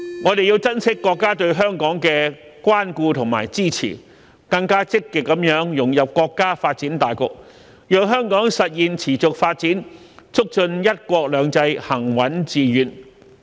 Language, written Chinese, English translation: Cantonese, 我們要珍惜國家對香港的關顧和支持，更積極地融入國家發展大局，讓香港實現持續發展，促進"一國兩制"行穩致遠。, We should treasure our countrys care and support for Hong Kong and integrate into the overall development of our country more proactively thereby fostering Hong Kongs sustainable development and ensuring the steadfast and successful implementation of one country two systems